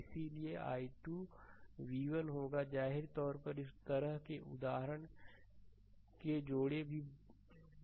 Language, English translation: Hindi, So, i 2 will be v 1 minus I previously also couple of such example are known we have taken